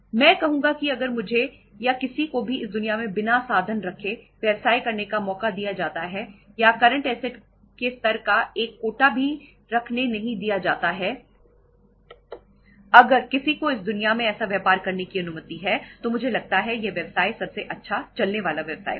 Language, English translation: Hindi, I would say that if given a chance to do the business to me or to anybody in this world without keeping means or by not even by keeping a iota of the level of current assets if anybody is allowed to do the business in this world I think that business would be the best running business